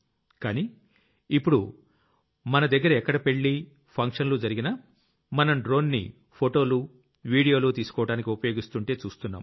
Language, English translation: Telugu, But today if we have any wedding procession or function, we see a drone shooting photos and videos